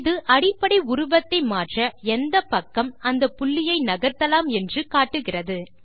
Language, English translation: Tamil, This indicates the directions in which the control point can be moved to manipulate the basic shape